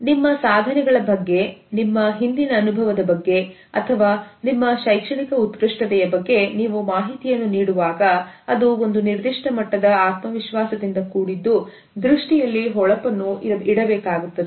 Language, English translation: Kannada, It is important that when you are giving information about your achievements, about your past experience or your academic excellence then it has to be given with a certain level of confidence and sparkle in the eyes